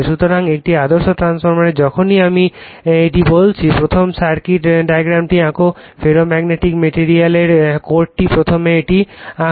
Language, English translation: Bengali, So, in an ideal transformeRLoss of whenever I am telling this first you draw the circuit diagram in the beginning right the ferromagnetic material the core the winding first you draw it